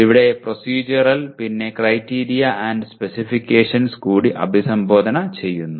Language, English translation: Malayalam, And here Procedural and Criteria and Specifications are also addressed